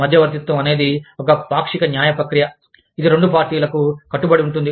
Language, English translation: Telugu, Arbitration is a quasi judicial process, that is binding on, both parties